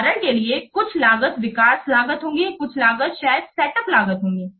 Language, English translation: Hindi, For example, some of the cost could be development cost